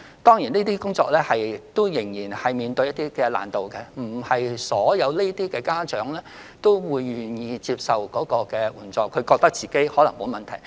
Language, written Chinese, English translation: Cantonese, 當然，這些工作仍有一些難度，因為這類家長並非全部都願意接受援助，他們可能自覺沒有問題。, Of course the work is in no way easy because some of these parents may fail to see their own problems and are hence unwilling to receive assistance